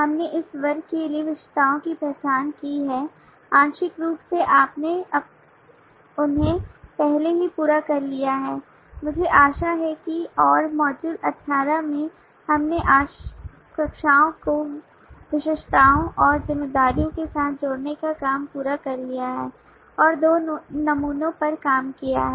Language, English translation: Hindi, we have identified the attributes for this classes partly you have completed them already i hope and in module 18 we have completed that task of associating the classes with attributes and responsibilities and worked out two samples for employee and leave and left it as an exercise to complete for you all